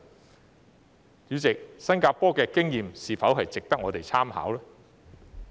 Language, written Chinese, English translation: Cantonese, 代理主席，新加坡的經驗是否值得我們參考呢？, Deputy President is the experience of Singapore not worthy of reference?